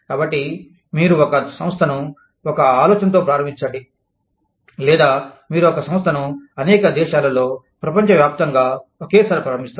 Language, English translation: Telugu, So, you start an organization, with the idea, or, you start an organization, in several countries, across the world, simultaneously